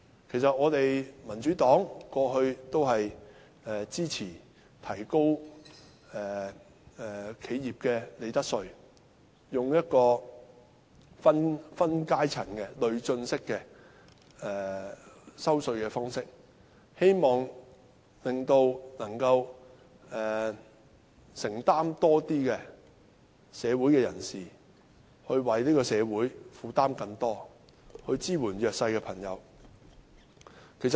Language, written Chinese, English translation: Cantonese, 其實民主黨過去一直支持提高企業的利得稅，利用分階層的累進式稅制，令有能力負擔更多的人士為社會承擔更多，以支援弱勢的朋友。, In fact the Democratic Party has all along supported raising the profits tax rate for enterprises and using a progressive tax regime with different tiers so that those with greater affordability will undertake more for society with a view to supporting the disadvantaged